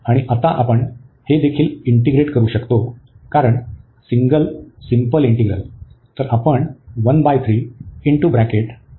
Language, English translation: Marathi, And now we can integrate this as well because the single simple integral